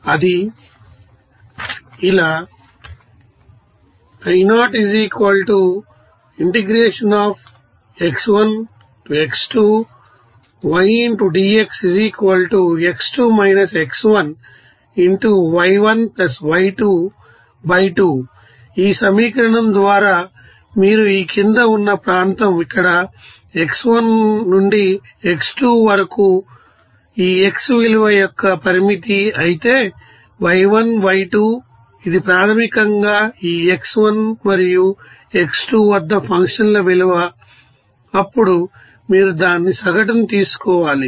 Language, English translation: Telugu, This is here So, by this equation you can get this you know that what we the area under the curve, here x1 to x2 this is the limit of this you know x value whereas y1, y2 is this is basically functions value at this x1 and x2 and then you have to take it an average